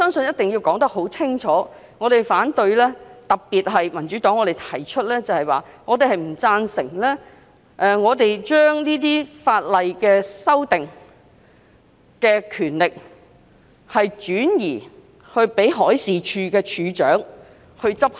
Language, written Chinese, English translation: Cantonese, 我希望述明我們反對的理由，特別是為何民主黨不贊成把修訂法例的權力轉移予海事處處長。, I wish to give a clear account on the grounds for our opposition especially the reason why the Democratic Party does not agree to transfer the power of amending the law to the Director of Marine DM